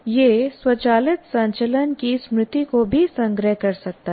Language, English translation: Hindi, It may also store the memory of automated movement